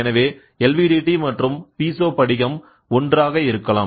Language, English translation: Tamil, So, LVDT can be one Piezo crystal can also be one